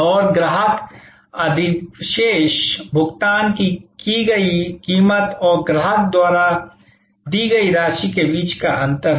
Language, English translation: Hindi, And the customer surplus is the difference between the price paid and the amount the customer would have been willing to pay otherwise